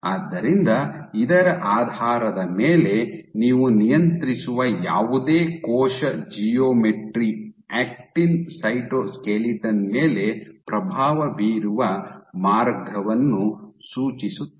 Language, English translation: Kannada, So, based on this they suggested a pathway in which any cell geometry that you regulate will influence the actin cytoskeleton ok